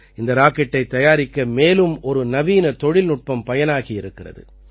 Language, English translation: Tamil, Another modern technology has been used in making this rocket